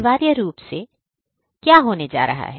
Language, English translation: Hindi, Essentially, what is going to happen